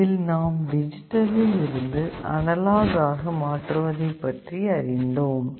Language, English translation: Tamil, Here we shall study the different ways in which digital to analog conversion can be carried out